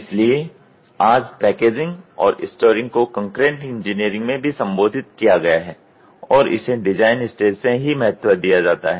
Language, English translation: Hindi, So, today packaging and storing is also been addressed in concurrent engineering and it is given importance right from the design stage itself